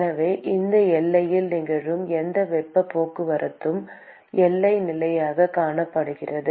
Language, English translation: Tamil, So, the whatever heat transport that is occurring in this boundary is accounted as the boundary condition